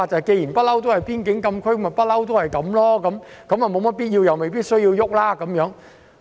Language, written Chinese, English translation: Cantonese, 既然那裏一向是邊境禁區，便一直繼續下去，如無必要便不需要改變規劃。, Since the place has always been FCA it will continue to be so and no rezoning is necessary